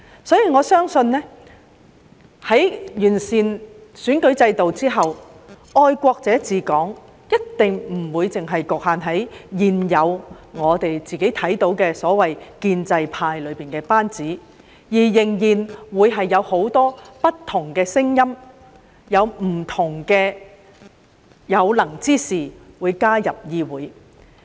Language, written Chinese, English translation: Cantonese, 所以，我相信在完善選舉制度之後，"愛國者治港"一定不會只局限於現有所謂的建制派班子，而且仍然會有很多不同的聲音、有不同的有能之士加入議會。, I thus believe that after the electoral system is improved the patriots that administer Hong Kong will not be exclusive to those from the so - called pro - establishment camp . And there will still be capable people of different spectrum joining this Council